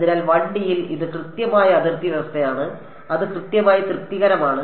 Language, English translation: Malayalam, So, in 1D this is an exact boundary condition ok, it is exactly satisfied